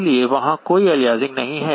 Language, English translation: Hindi, There is no aliasing